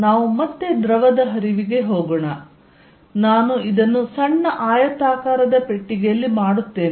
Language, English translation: Kannada, Let us again go back to fluid flow, and I will make in this the rectangular small box